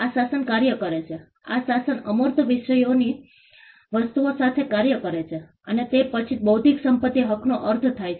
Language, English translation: Gujarati, This regime acts this regime acts along with the intangible things and only then intellectual property rights make sense